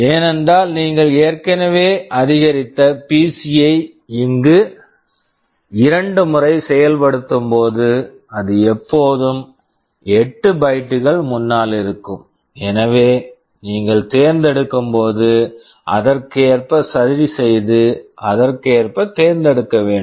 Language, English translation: Tamil, Because when you are executing here already incremented PC two times it is always 8 bytes ahead, so that when you are fetching you should accordingly adjust and fetch accordingly